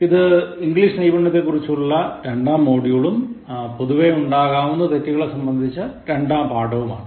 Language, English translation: Malayalam, And this is the second module on English Skills and the second lesson on Common Errors